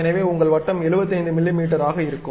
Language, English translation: Tamil, So, your circle will be of 75 millimeters